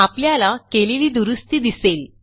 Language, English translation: Marathi, You will notice the correction